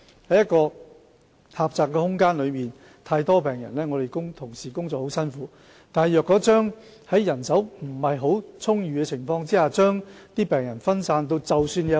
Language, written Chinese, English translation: Cantonese, 在一個狹窄的空間內有太多病人，同事工作時很辛苦，但在人手不太充裕的情況下，將病人分散也會造成問題。, When a lot of patients are admitted to a limited space colleagues will have a hard time looking after patients . Yet there will be problems if patients are placed in scattered wards